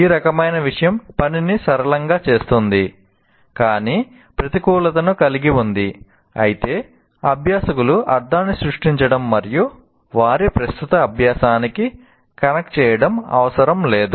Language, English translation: Telugu, While this kind of thing makes the task simple, but has the disadvantage that it does not require learners to create a meaning and to connect it to their existing learning